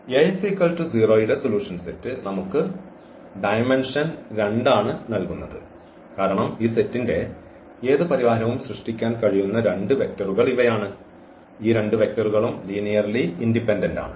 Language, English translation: Malayalam, So, the solution set of Ax is equal to 0 we have the dimension 2, because these are the two vectors which can generate any solution of this set and these two vectors are linearly independent